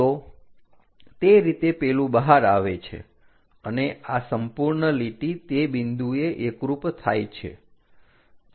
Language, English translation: Gujarati, So, that one comes out like that and this entire line coincides to that point